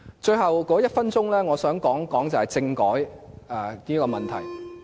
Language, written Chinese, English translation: Cantonese, 最後一分鐘，我想說說政改的問題。, In the last one minute I want to say a few words on the issue of constitutional reform